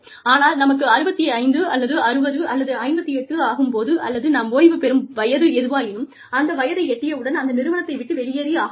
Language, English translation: Tamil, But then, when we are 65, or 60, or 58, whatever, your retirement age, you is, you go